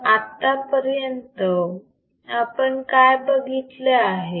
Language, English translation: Marathi, So, what we have seen until now